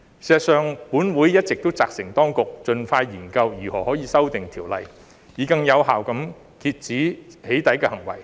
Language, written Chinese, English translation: Cantonese, 事實上，本會一直責成當局盡快研究如何修訂條例，以更有效地遏止"起底"行為。, In fact this Council has directed the authorities to expeditiously study how to amend the legislation in order to more effectively curb doxxing behaviour